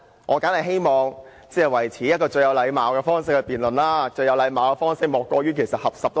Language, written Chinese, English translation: Cantonese, 我當然希望以最有禮貌的方式辯論，而最有禮貌的方式莫過於合十。, I certainly hope that the debate can be held in the most polite way and the most polite way of greeting is putting our palms together